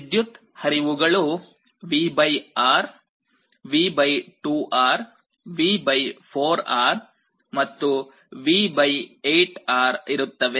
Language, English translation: Kannada, So, the currents that are flowing they will be V / R, V / 2R, V / 4R, and V / 8 R